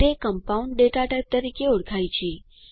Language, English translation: Gujarati, It is called as compound data type